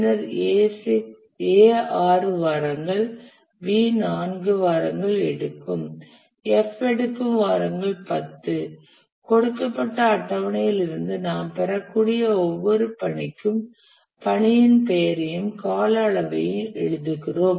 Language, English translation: Tamil, Start date of start task is day 0 and then A takes 6 weeks, B takes 4 weeks, F text 10 week that we can get from the table that has been given and for every task we write the name of the task and also the duration